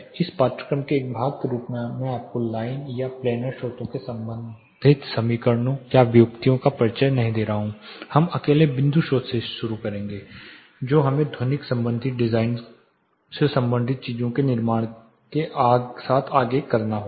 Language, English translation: Hindi, As a part of this course I am not introducing you equations or derivation related to line or planar sources, we will start by point source alone we have to precede further with building acoustical related, design related things